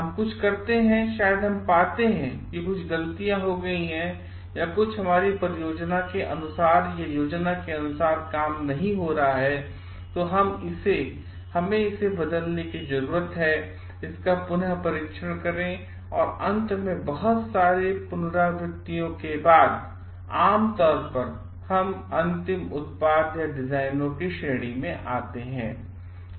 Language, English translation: Hindi, We do something maybe we find certain mistakes have been done or something is not working according to our plan, then we need to change it, retest it and finally, after lot of many of iterations generally we come to the end product or designs